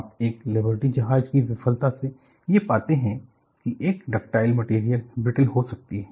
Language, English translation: Hindi, So, what you find from a Liberty ship failure is, a ductile material can become brittle